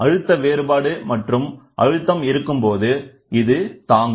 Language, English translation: Tamil, So, when there is a pressure difference or pressure which comes and hits